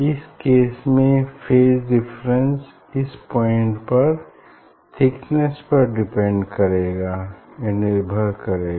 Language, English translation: Hindi, phase difference path difference will be depending on the thickness at this point